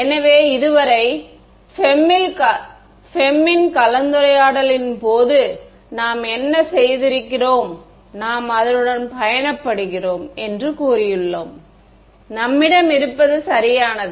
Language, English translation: Tamil, So, so far what we had done at least in the case of the FEM discussion, we have said we live with it, this is what you have get right